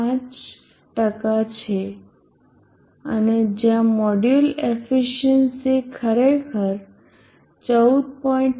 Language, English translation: Gujarati, 5% and where are the module efficiency is actually 14